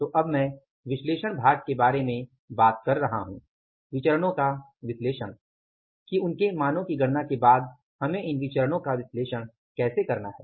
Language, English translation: Hindi, So now I am talking about the analysis part, analysis of the variances that how we have to analyze these variances after calculating the values